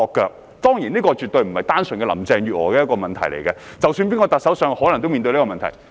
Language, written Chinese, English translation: Cantonese, 這當然絕非單純是林鄭月娥的問題，因為無論由誰擔任特首，均可能面對相同問題。, This is certainly not merely a problem with Carrie LAM because no matter who assumes the office of the Chief Executive heshe will face the same problems